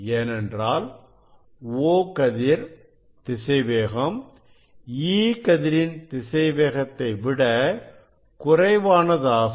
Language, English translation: Tamil, then this velocity of E ray is along the x and y direction is less than the O ray